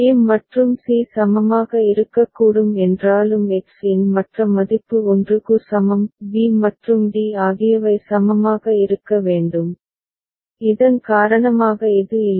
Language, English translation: Tamil, Even if a and c can be equivalent because the other value for x is equal to 1; b and d need to be equivalent which is not the case because of this